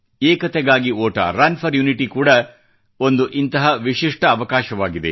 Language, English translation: Kannada, 'Run for Unity' is also one such unique provision